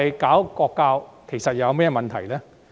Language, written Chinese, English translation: Cantonese, 國情教育有甚麼問題？, What is wrong with national education?